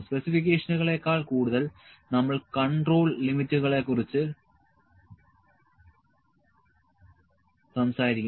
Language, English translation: Malayalam, More than specifications we will talk about the control limits